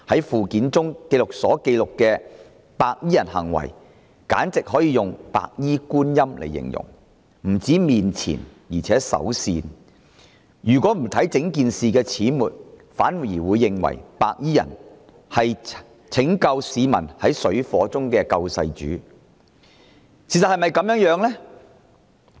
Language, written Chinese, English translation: Cantonese, 附表所記錄的白衣人行為簡直可以用"白衣觀音"來形容，他們不止面慈，而且手善，如果不留意整件事的始末，反而會認為白衣人是拯救市民於水深火熱之中的"救世主"。, Those white - clad gangsters as recorded in the Schedule can simply be likened to the Chinese Goddess of Mercy in a white gown in the sense that not only did they look compassionate but their deeds were also merciful . If people are not aware of the events of the whole incident they may instead regard those white - clad people as saviours who came to the rescue of those in dire danger